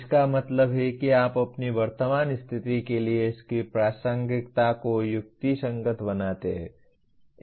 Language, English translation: Hindi, That means you kind of rationalize its relevance to your present state